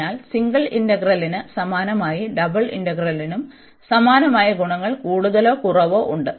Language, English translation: Malayalam, So, similar to the single integral, we have more or less the same properties for the double integral as well